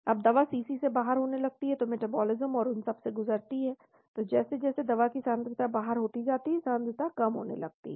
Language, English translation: Hindi, Now the drug starts getting eliminated from the CC , so went through metabolism and all that, so as the drug concetration gets eliminated concentration starts going down